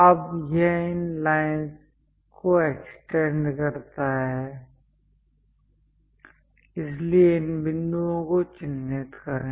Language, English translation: Hindi, Now, this one just extend these lines, so mark these points